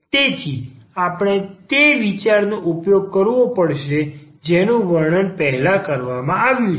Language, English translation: Gujarati, So, we have to use the idea which is described just before